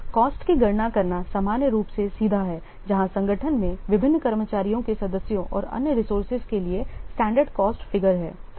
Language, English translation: Hindi, Calculating the cost is normally straightforward where the organization has standard cost figures for different staff members and other resources